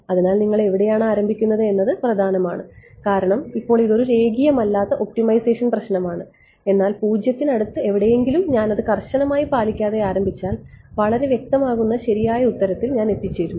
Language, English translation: Malayalam, So, where you initialize matters because now this is a non linear optimization problem, but if I started anywhere close to 0 not being very strict about it, I reach the correct answer that much is clear